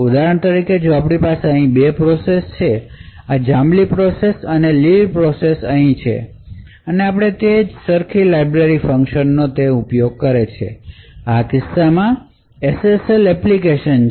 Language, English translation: Gujarati, So, for example if we have two processes, this purple process and the green process over here and we used the same library function, which in this case is SSL encryption